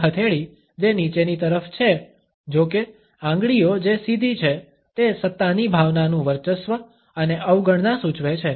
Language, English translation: Gujarati, A palm which is downward, however, with fingers which are straightened, indicates a sense of authority a dominance and defiance